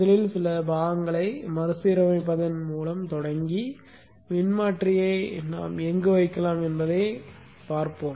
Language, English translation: Tamil, So let us start first with rearranging some of the components and see where we can put the transformer